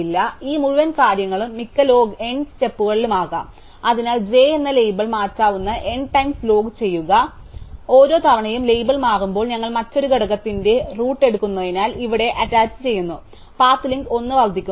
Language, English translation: Malayalam, So, this whole thing can be at most log n steps, so therefore log n times the label of j can change, each time the label changes, because we take the root of another component attach it here, the path link increasing by 1